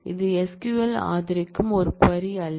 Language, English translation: Tamil, So, this is not a query, that SQL would support